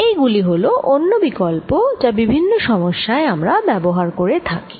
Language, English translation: Bengali, these are the other ones that we use most often in in a many problems